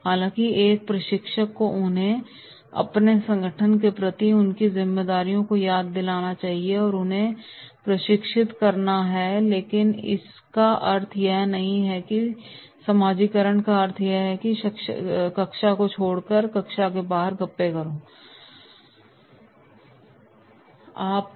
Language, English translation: Hindi, However, a trainer must remind them of their responsibilities towards their organisation and training them, but it does not mean that socialisation means leaving the classroom and doing chitchatting outside the classroom, no what you are supposed to do